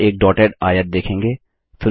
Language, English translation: Hindi, You will see a dotted rectangle